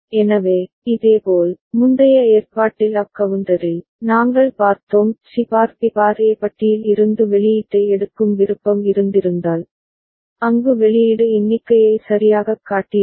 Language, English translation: Tamil, So, similarly in the previous arrangement the up counter, we had seen had we the option of taking the output from C bar B bar A bar, then output there would have shown down count ok